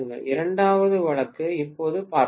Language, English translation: Tamil, The second case now let us try to take a look